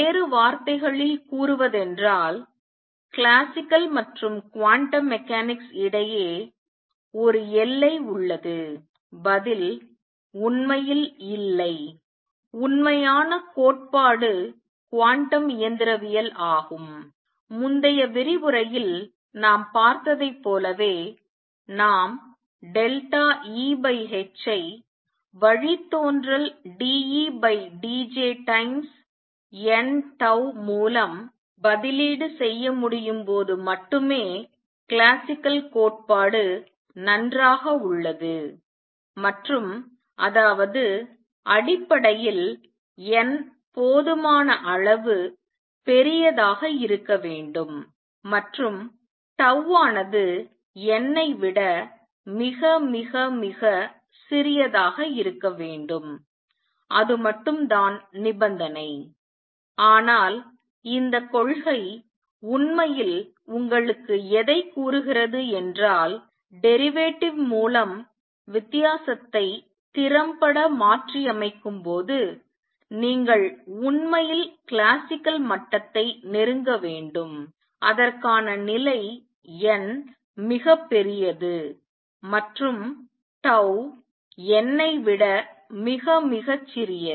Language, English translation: Tamil, In other words is there a boundary between classical and quantum mechanics the answer is no actually the true theory is quantum mechanics it is only as we saw in the previous lecture only when we can replace delta E by h by the derivative d E by d j times n tau that classical theory holds good and; that means, basically that n has to be large enough and tau has to be much much smaller than n that is the only condition, but what this principle is telling you is that you should actually be approaching classical level when you can replace that the difference by derivative effectively and for that the condition is n is very large and tau is much much smaller than n